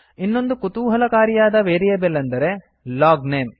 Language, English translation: Kannada, Another interesting variable is the LOGNAME